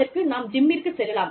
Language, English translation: Tamil, I can go to the gym